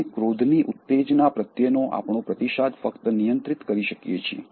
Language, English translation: Gujarati, We can only control our response to the trigger of anger